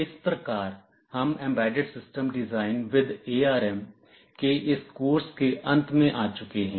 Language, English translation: Hindi, So, we have come to the end of this course on Embedded System Design with ARM